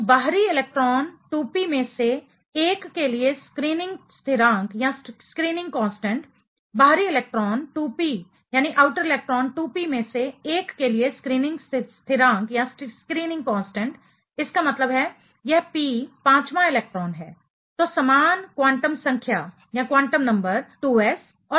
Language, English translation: Hindi, So, the screening constant for one of the outer electron 2p, screening constant for one of the outer electron 2p; that means, this p fifth electron is, so the same quantum number is 2s and 2p